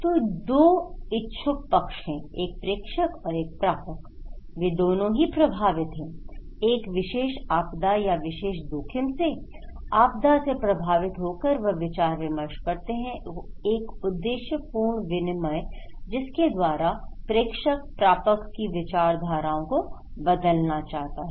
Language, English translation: Hindi, So, there are two interested parties; one is the sender and one is the receiver, they are affected, impacted by particular disaster or particular risk and they have an information exchange, purposeful exchange of informations and sender wants to change the mind of the receivers okay